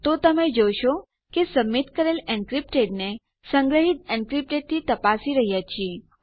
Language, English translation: Gujarati, So you can see that were checking our submitted encrypted to our stored encrypted